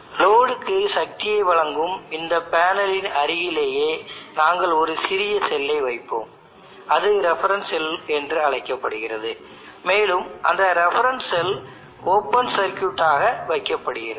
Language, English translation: Tamil, In the neighborhood of this panel which is delivering power to the load we will place a small cell called the reference cell, and that reference cell is kept open circuited there is no load connected across the reference cell